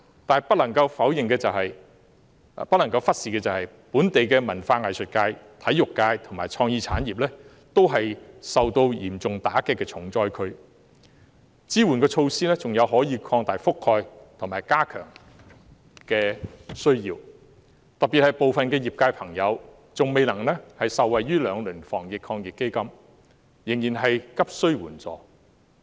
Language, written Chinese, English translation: Cantonese, 但是，不能夠忽視的是本地文化藝術界、體育界和創意產業亦是受到嚴重打擊的重災區，支援措施還需擴大覆蓋範圍和予以加強，尤其是部分業界朋友未能受惠於兩輪的防疫抗疫基金，仍然急需援助。, However we cannot neglect the local cultural and arts sector sports sector and creative industry which are also stricken areas being hit severely . The support measures need to be expanded and strengthened particularly since some industry members who cannot benefit from the two rounds of AEF are still in need of urgent assistance